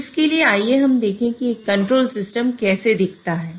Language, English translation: Hindi, So, for that, let us look at how a control system looks like